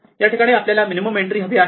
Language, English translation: Marathi, Here, we want the minimum entry